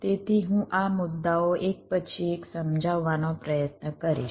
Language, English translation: Gujarati, so i shall be trying to explain this points one by one